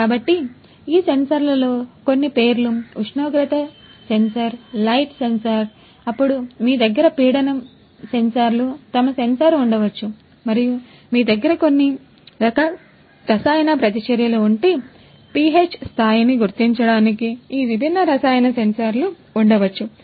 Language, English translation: Telugu, So, the names of some of these sensors, temperature sensor, light sensors, then you have pressure sensors, maybe humidity sensor and if you have some kind of chemical reactions these different chemicals chemical sensors for detecting maybe the pH level right